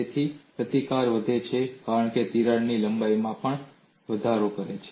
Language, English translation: Gujarati, So, the resistance increases as the crack also increases in length